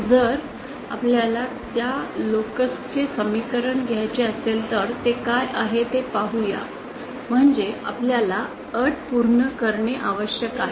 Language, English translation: Marathi, If we want to derive the equation for that lacus let us see what it is, so the condition that is we have to satisfy is